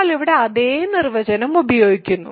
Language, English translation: Malayalam, So, we use the same definition here